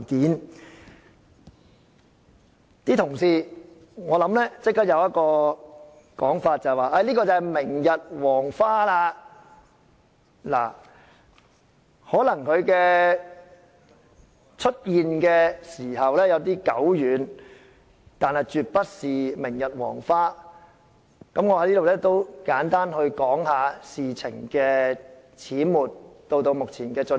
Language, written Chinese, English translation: Cantonese, "一些同事即時的想法，可能是這些都已是明日黃花，而事實上，這事發生的時間可能有點久遠，但絕不是明日黃花，我在此簡單地談談事情始末，以及目前的進展。, Some colleagues may immediately think that this is a thing of the past . Although this happened long ago this is by no means a thing of the past . I will tell the whole story and talk about the current progress briefly